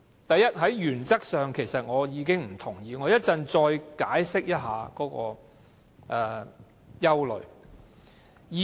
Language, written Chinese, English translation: Cantonese, 第一，在原則上我已經不同意，我稍後再解釋我的憂慮。, First I oppose this approach in principle and I will explain my worries again later on